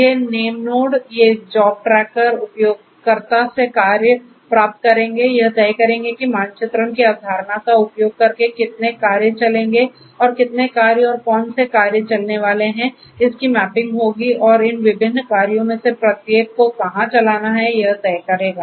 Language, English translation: Hindi, So, these name nodes these job tracker will receive the users job will decide on how many tasks will run using, the concept of mapping and how many jobs and which jobs are going to run that mapping is going to be done and it is going to also decide on where to run in each of these different jobs